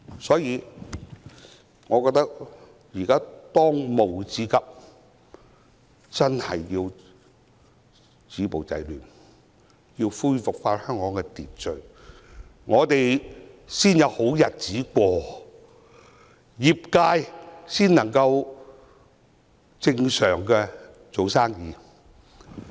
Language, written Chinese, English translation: Cantonese, 所以，我覺得當務之急是止暴制亂，恢復香港的秩序，這樣，我們才可以重過正常生活，各行各業才能正常做生意。, Therefore I think that the most pressing task for Hong Kong is to stop violence and curb disorder so that we can return to normal life and various trades and industries can do business normally